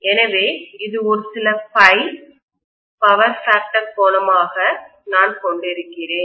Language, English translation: Tamil, So this is some phi I am having as the power factor angle